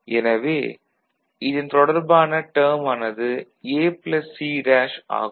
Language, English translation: Tamil, So, that will be the corresponding term